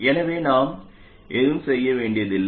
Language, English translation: Tamil, So we don't even have to do anything